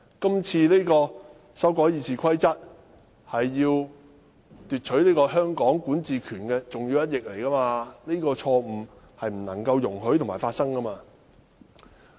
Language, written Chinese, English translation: Cantonese, 今次修改《議事規則》是剝奪香港管治權的重要一役，這種錯誤是不容許發生的。, The amendment of the Rules of Procedure this time is an important battle to strip the jurisdiction of Hong Kong and the same mistake should not be made again